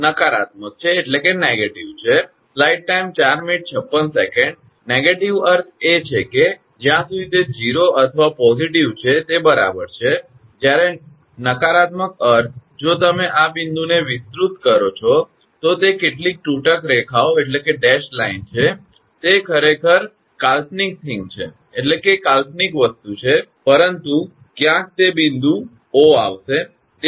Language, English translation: Gujarati, Negative means that as long as it is 0 or positive it is ok, when negative means if you extend this point is some dash line to the, it actually it is imaginary thing, but somewhere that point O will come